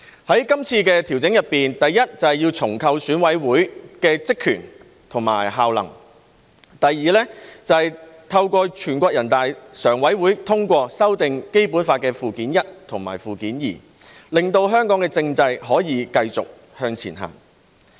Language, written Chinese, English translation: Cantonese, 在今次的調整中，第一，是重構選舉委員會的職權和效能；第二，是透過全國人大常委會通過修訂《基本法》附件一和附件二，令香港政制可以繼續向前行。, In this adjustment first the powers and functions of the Election Committee EC are reconstituted; and second the Standing Committee of the National Peoples Congress has passed the amendments to Annexes I and II to the Basic Law such that the constitutional system of Hong Kong can continue to move forward . Secondly it safeguards national security and social stability from a preventive perspective